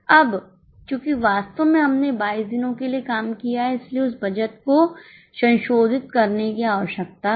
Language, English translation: Hindi, Now, since actually we have worked for 22 days, there is a requirement to revise that budget